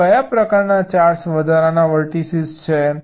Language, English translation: Gujarati, so what kind of four additional vertices